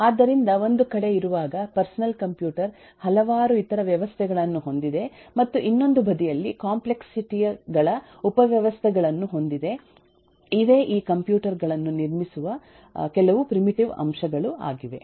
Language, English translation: Kannada, so while on one side the personal computer has several other systems and subsystems of complexities, on the other side there are few primitive elements through which these computers are built up